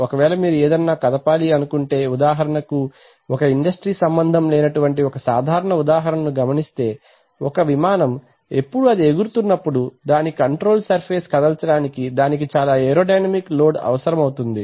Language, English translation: Telugu, For example, if you want to move, let us say I mean typical example, I mean non industrial but typical example is taken aircraft when it is flying, then it has to move its control surface it gets huge amount of aerodynamic load